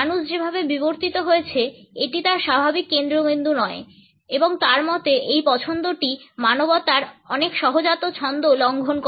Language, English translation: Bengali, It is not a natural focus of the way human beings have evolved and in his opinion this preference seems to violate many of humanity’s innate rhythms